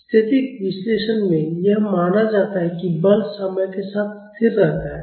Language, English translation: Hindi, In static analysis, it is assumed that the force is constant over time